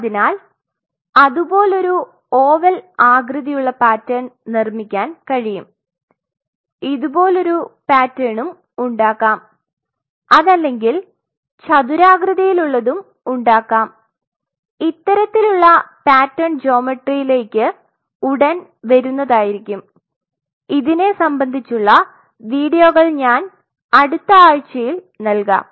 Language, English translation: Malayalam, So, I can make an oval shape pattern like that we can make a pattern like this say for example, squarish pattern we will come into these kind of pattern geometries soon and I will provide you not this week and in the next week I will provide you some of the videos